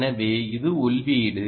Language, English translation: Tamil, this is the output, the input is said to